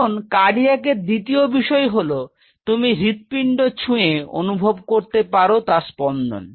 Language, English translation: Bengali, Now next thing when we talk about cardiac, you touch your heart it is beating